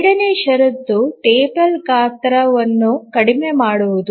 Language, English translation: Kannada, The second condition is minimization of the table size